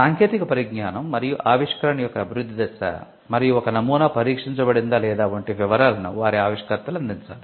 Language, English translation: Telugu, Their inventors are required to provide details such as, stage of development of the technology and invention and whether or not a prototype has been tested